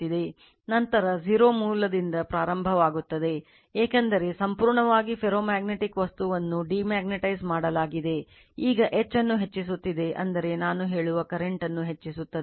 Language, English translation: Kannada, Then we will starting from the origin that 0, because we have totally you are what you call demagnetize the ferromagnetic material, now we are increasing the H that means, we are increasing the current I say right